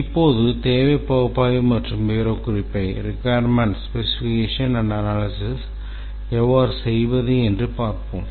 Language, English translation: Tamil, Now let's start our discussion on the requirements analysis and specification